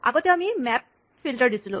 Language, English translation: Assamese, Earlier, we had given a map filter thing